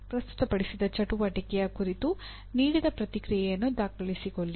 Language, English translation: Kannada, Document the feedback given on a presented activity